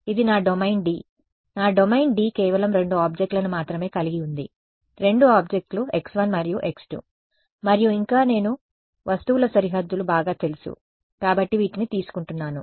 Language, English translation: Telugu, This is my domain D; my domain D has only two objects ok, two objects x 1 and x 2 and further what I am assuming to make my life easier that I know the boundaries of these objects ok